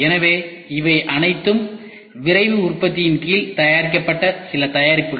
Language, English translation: Tamil, So, these are all some of the products which have been made under Rapid Manufacturing